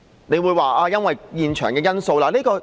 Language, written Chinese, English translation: Cantonese, 你會說這是因為現場的情況。, You may say it was due to the situation at the scene